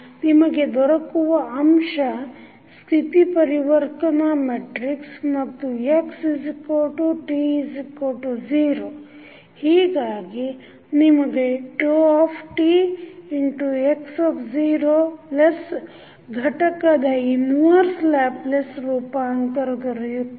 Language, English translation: Kannada, You get this term nothing but the state transition matrix and then you get x at time t is equal to 0, so you get phi t x0 plus the inverse Laplace transform of this component